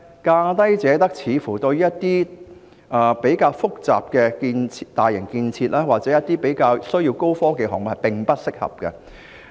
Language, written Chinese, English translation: Cantonese, 價低者得的做法，對於一些比較複雜的大型建設或高科技項目，似乎並不適合。, The approach of the lowest bid wins seems to be not suitable for the more complex large - scale development or high - tech projects